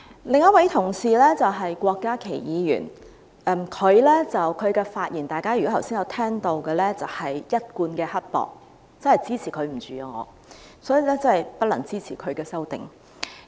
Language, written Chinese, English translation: Cantonese, 另一位同事是郭家麒議員，如果大家剛才有聆聽他的發言，便會留意到他是一貫的刻薄，我真的無法忍受他，所以我不能支持他的修正案。, The other colleague is Dr KWOK Kai - ki . Members who listened to his speech would have noticed that he was as mean as he always is . I really cannot stand him and therefore I cannot support his amendment